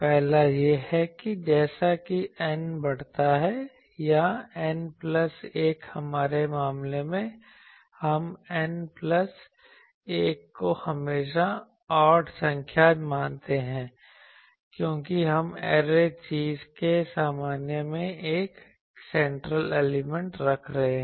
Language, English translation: Hindi, The first one is that as N increases N or N plus 1 in our case, we are considering N plus 1 always odd number, because we are placing a central element at the coordinate of array thing